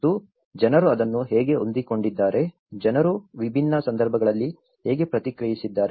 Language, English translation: Kannada, And they have looked at how people have adapted to it, how people have responded to it in different context